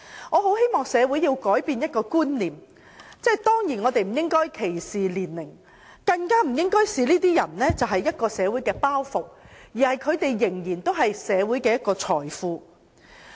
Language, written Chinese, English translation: Cantonese, 我很希望社會能改變觀念，不應有年齡歧視，更不應視這些人為社會的包袱，因為他們仍然是社會的財富。, I am eager to see a conceptual change in society . Age discrimination should not exist and such people should not be considered a social burden because they are still assets to the community